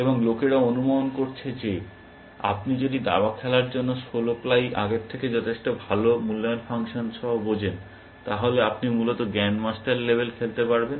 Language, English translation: Bengali, And people have surmised, that if you do sixteen ply look ahead for chess, with risibly good evaluation function, then you can play the grandmaster level essentially